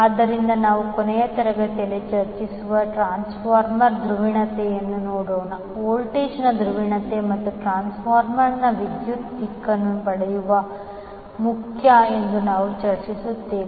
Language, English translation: Kannada, So, let us see, the transformer polarity which we discuss in the last class, we discuss that it is important to get the polarity of the voltage and the direction of the current for the transformer